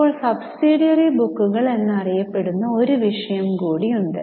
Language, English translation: Malayalam, Now, there is one more topic known as subsidiary books